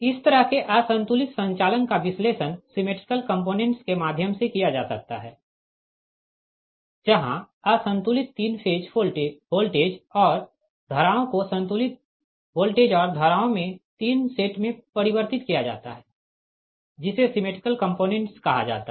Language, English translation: Hindi, such an unbalanced operation can be analyzed through symmetrical components, where the unbalanced three phase voltages and currents are transformed in to three sets of balanced voltages and currents called symmetrical components